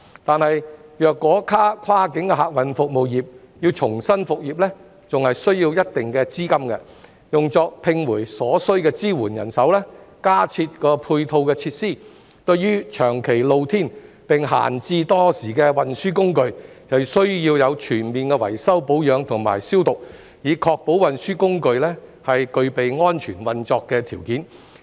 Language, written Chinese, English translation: Cantonese, 可是，如果跨境客運服務業要重新復業，還需要一定資金，用作重聘所需的支援人手、加設配套設施，以及需對長期露天並閒置多時的運輸工具作全面維修保養及消毒，以確保運輸工具具備安全運作的條件。, However to resume business the cross - boundary passenger service sector will need considerable capital to re - employ the necessary supporting staff install additional ancillary facilities and carry out thorough maintenance and disinfection of conveyances which have been left idle in the open air for a long time to ensure that such conveyances are in safe working condition